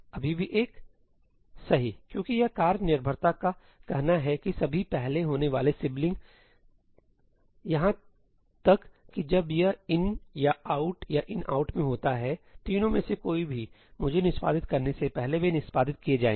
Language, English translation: Hindi, Still one, right, because this task the dependency says that all previously occurring siblings, even when it is in ëiní, ëoutí or ëinoutí , any of the three, they will be executed before I execute